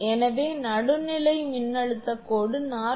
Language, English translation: Tamil, So, line to neutral voltage is 47